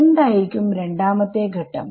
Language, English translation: Malayalam, What would be step 2